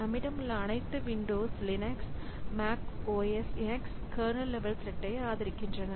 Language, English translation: Tamil, So, we have got Windows, Linux, Mac OSX, so all these operating systems, so they support kernel level threads